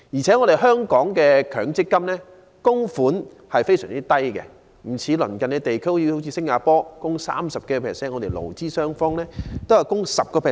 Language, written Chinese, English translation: Cantonese, 此外，香港的強積金供款額非常低，有別於鄰近地區，其供款額是工資的 30%， 我們勞資雙方合共供款 10%。, Moreover the required amount of contribution in Hong Kongs MPF is very small . Unlike neighbouring regions such as Singapore that requires 30 % of ones wage we require contributions from both the employee and employer to 10 % of ones wage in total